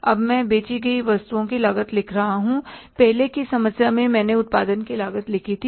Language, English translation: Hindi, Now I'm writing cost of goods sold, in the early product, I the cost of production